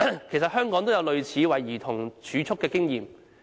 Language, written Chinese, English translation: Cantonese, 其實，香港也有類似為兒童儲蓄的經驗。, In fact Hong Kong also has arrangements similar to these children saving plans